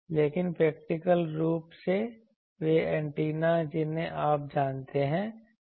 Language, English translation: Hindi, But, actually the practically those antennas the you know